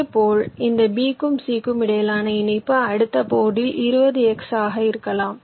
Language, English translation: Tamil, similarly, a connection between this b here and c on the next board, it can be twenty x